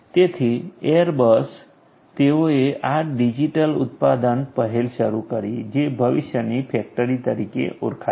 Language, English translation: Gujarati, So, Airbus they launched this digital manufacturing initiative which is known as the factory of the future